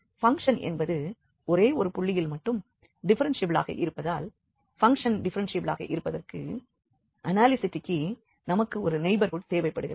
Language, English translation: Tamil, But since the function is differentiable only at one point, but for analyticity we need a neighborhood where the function has to be differentiable